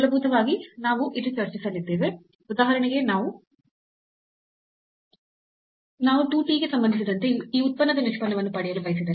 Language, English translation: Kannada, So, here what basically we will be discussing here, if we want to get for example, the derivative of this z function with respect to 2 t